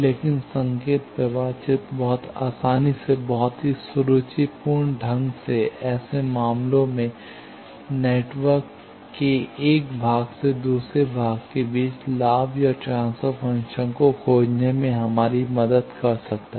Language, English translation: Hindi, But, signal flow graph can very easily, very elegantly, help us in such cases, to find the gain, or transfer function of, between one part of network to another part